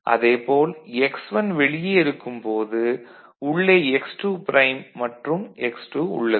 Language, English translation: Tamil, So, basically we are having x1 prime outside and inside x2 prime being considered